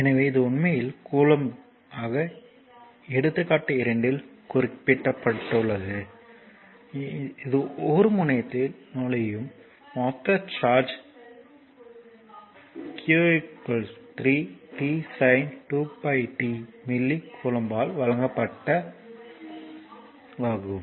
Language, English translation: Tamil, So, this is actually coulomb now example 2; the total charge entering a terminal is this is actually this is actually page number 17 given by q is equal to say 3 t sin 2 pi t say milli coulomb right